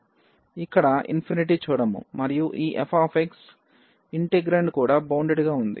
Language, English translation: Telugu, So, we do not see here infinity and also this f x, the integrand is also bounded